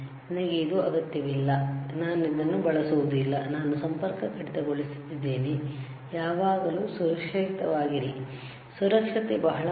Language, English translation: Kannada, I do not need it I do not use it I just disconnected, always be safe, right